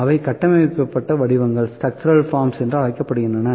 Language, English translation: Tamil, The known shapes are there, those are known as structured forms